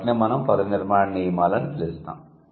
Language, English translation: Telugu, So, that is what we call word formation rules